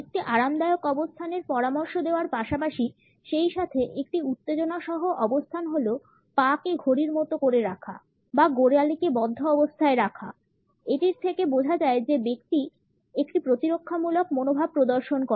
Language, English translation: Bengali, In addition to suggesting a relax position, as well as a position with suggest a tension the normal interpretation of the foot clock or the ankle lock is that the person displays a defensive attitude